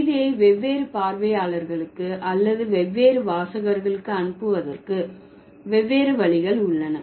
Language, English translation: Tamil, And there are different ways of conveying the message to different audience or different readers, right